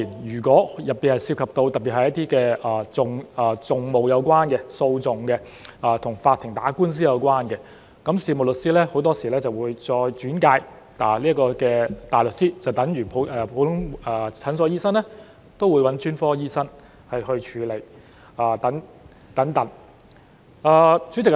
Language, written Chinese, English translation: Cantonese, 如果涉及到特別是一些與訟務、訴訟或法庭打官司有關的事宜，事務律師很多時候就會將個案再轉介大律師，就等於普通診所醫生都會找專科醫生處理特別情況。, When it comes to matters particularly relating to advocacy litigation or court cases the solicitor will often refer such cases to a barrister just like a general practitioner would make referrals to a specialist for treatment of special conditions